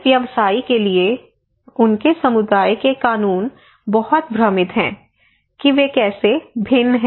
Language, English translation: Hindi, For a practitioner, laws of their community is very confusing that how they are different